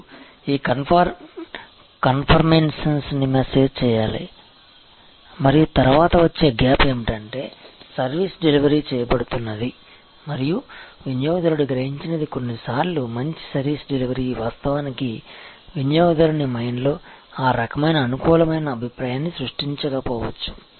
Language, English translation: Telugu, And you have to manage this conformance and then, the next gap is of course, what the service is being delivered and what the customer is perceived, sometimes good service delivery may not actually create that kind of a favorable impression in the customer mind